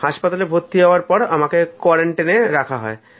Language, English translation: Bengali, When I was admitted to the hospital, they kept me in a quarantine